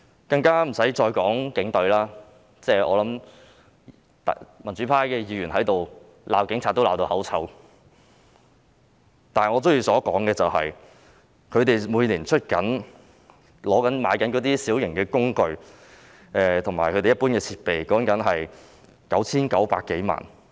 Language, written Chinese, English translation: Cantonese, 不用我再多說的就是警隊，民主派議員在這裏鬧警察已鬧到口臭，但我仍想談談他們每年購置小型工具和一般設備的款額，說的是 9,900 多萬元。, As for the Police Force I do not have to say much . Members from the pro - democracy camp have condemned the Police so much here but it is just a waste of breath . Yet I still want to talk about the funding for the procurement of minor plant and equipment every year which amounts to 99 - odd million